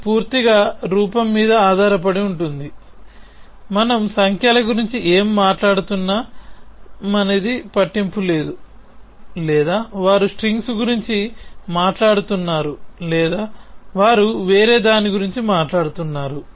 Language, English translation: Telugu, It is purely based on form it does not matter what we are talking about numbers or they are talking about strings or they are talking about something else